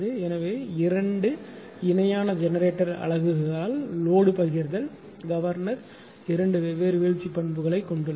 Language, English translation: Tamil, So, load sharing by two parallel generating units with drooping governor characteristic two different droop characteristic of the governor right